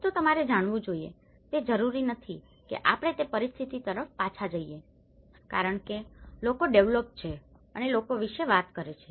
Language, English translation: Gujarati, One has to look at you know, it is not necessarily that we go back to the situation where it was, because people as developed and talks about people